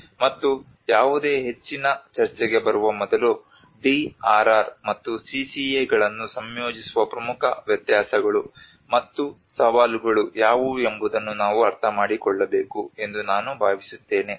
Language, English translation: Kannada, And before getting into any further discussion, I think we need to understand what are the major differences and challenges for integrating DRR and CCA